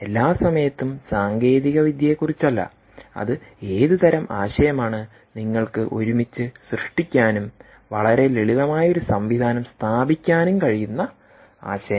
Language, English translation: Malayalam, its about your idea, what kind of ideas that you can generate together and put a very simple system in place